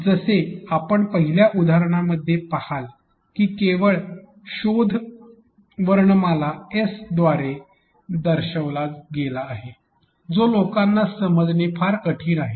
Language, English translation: Marathi, As you see in the first example search is denoted only by the alphabet S which is very very difficult for people to understand